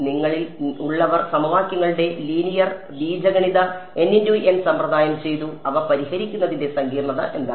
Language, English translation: Malayalam, Those of you done linear algebra n by n system of equations what is the complexity of solving them